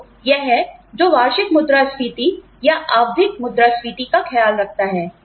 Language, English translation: Hindi, So that is what, takes care of the annual inflation, or periodic inflation, in